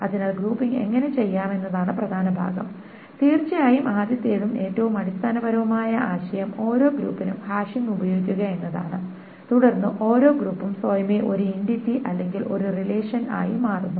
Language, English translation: Malayalam, So the important part is how to do the grouping then of course the first and the most basic idea is to use the hashing for each group, hashing for each group and then for each group essentially becomes an entity by it becomes a relation by itself